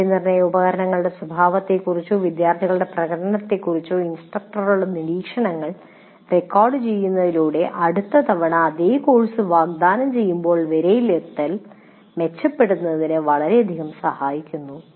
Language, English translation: Malayalam, And by recording instructors observations on the nature of assessment instruments are students' performance greatly help in improving the assessment when the same course is offered next time